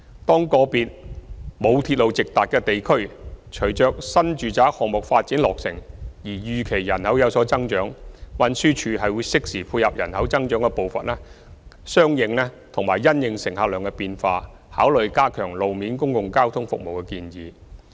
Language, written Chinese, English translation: Cantonese, 當個別沒有鐵路直達的地區隨着新住宅項目落成而預期人口有所增長，運輸署會適時配合人口增長的步伐及因應乘客量的變化，考慮加強路面公共交通服務的建議。, If an area without direct access to railway services is expected to see population growth following the completion of new residential development projects TD will consider the proposals to strengthen the road - based public transport services in a timely manner in tandem with the pace of the population growth and the change in passenger volume for meeting the demand for public transport services arising from the new population